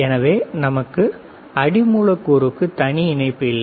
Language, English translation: Tamil, So, we do not have a separate connection for the substrate